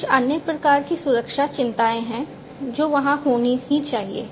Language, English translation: Hindi, There are few other types of security concerns that will have to be there